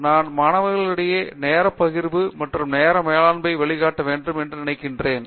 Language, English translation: Tamil, So, I think that kind of time sharing and time management among students is very important